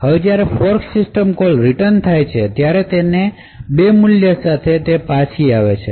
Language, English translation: Gujarati, Now when the fork system call returns, it could return with different values